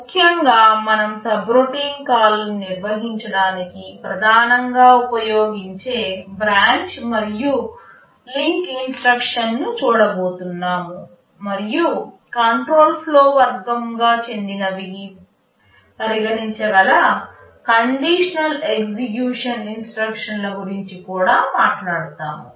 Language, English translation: Telugu, In particular we shall be looking at the branch and link instruction that are primarily used for handling subroutine calls, and we shall talk about the conditional execution instruction that you can also regard to be belonging to this category control flow